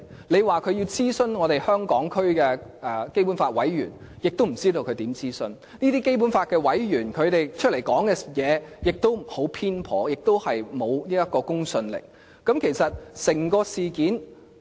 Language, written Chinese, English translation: Cantonese, 你說中央要諮詢香港區的基本法委員會委員，亦不知道他們是如何諮詢，這些委員的言論亦十分偏頗，而且沒有公信力。, You may say the Central Authorities must consult the Hong Kong members of the Basic Law Committee but few people know how they carry out the consultation . Furthermore the comments of these members are very biased and have no credibility